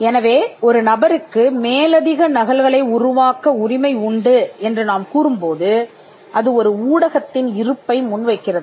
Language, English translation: Tamil, So, when we say that a person has a right to make further copies it presupposes the existence of a medium